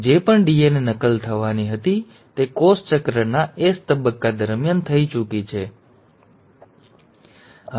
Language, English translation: Gujarati, Whatever DNA replication had to happen has already happened during the S phase of cell cycle, it is not happening anymore